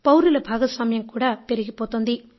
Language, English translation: Telugu, The participation of citizens is also increasing